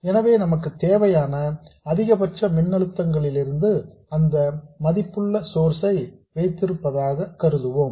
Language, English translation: Tamil, So, we will assume that highest of the voltages that we want, we have a source of that value